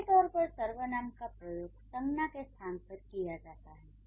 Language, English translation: Hindi, Pronouns are generally used in place of nouns